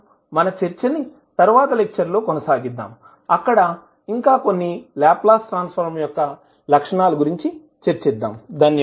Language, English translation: Telugu, We will continue our discussion in the next class where we will discuss few more properties of the Laplace transform